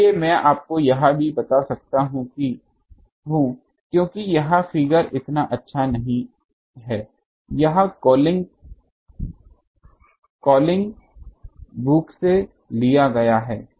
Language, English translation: Hindi, So, I can also tell you because the figure is not so good this is taken from Collins book